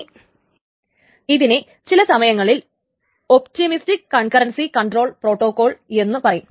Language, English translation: Malayalam, This is sometimes also known as an optimistic concurrency control protocol